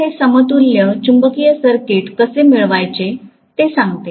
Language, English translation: Marathi, So this essentially tells you how to get an equivalent magnetic circuit